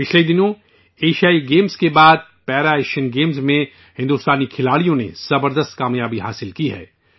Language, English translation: Urdu, Recently, after the Asian Games, Indian Players also achieved tremendous success in the Para Asian Games